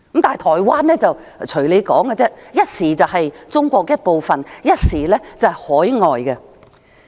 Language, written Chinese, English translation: Cantonese, 但是，台灣人又如何，一時說他們是中國一部分，一時說他們是海外人士。, But what about Taiwanese people? . They are said to be Chinese one moment and overseas people the next